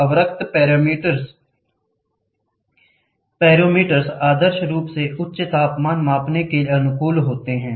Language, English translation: Hindi, The infrared pyrometers are ideally suited for high temperature measurements